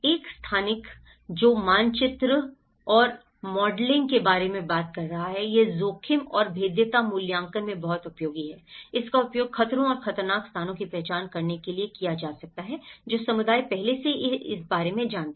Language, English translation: Hindi, One is the spatial, which is talking about the mapping and modelling, this is very useful in risk and vulnerability assessment, it can be used to identify hazards and dangerous locations, what community already know about this